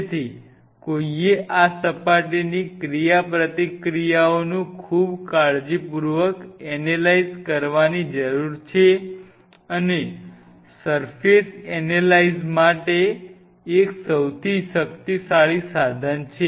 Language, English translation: Gujarati, So, one needs to analyze this surface interactions very carefully and for surface analysis one of the most powerful tool